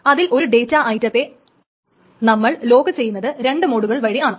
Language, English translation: Malayalam, A data item may be locked in essentially two modes